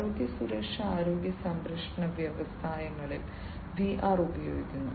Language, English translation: Malayalam, And in health and safety healthcare industries VR are used